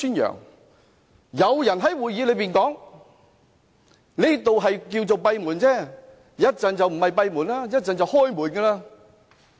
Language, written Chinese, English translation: Cantonese, 那時有人在會議上說，現時叫作閉門，稍後就不是閉門，稍後就開門了。, Then someone said to the effect that the meeting was now held behind closed doors but later the door would be wide open